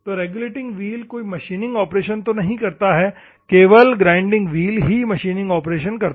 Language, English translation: Hindi, Regulating wheel, don’t do any machining operation, only the grinding wheel do the machining operation